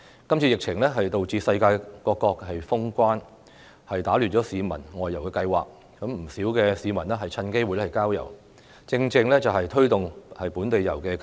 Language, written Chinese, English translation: Cantonese, 今次疫情導致世界各國封關，打亂了市民的外遊計劃，不少市民趁機會郊遊，這正正是推動本地遊的契機。, The epidemic has caused a lockdown of countries around the world disrupting the outbound travel plans of the public . As many members of the public have taken this opportunity to visit the countryside it is a good opportunity to promote local tours